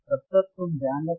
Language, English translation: Hindi, tTill then you take care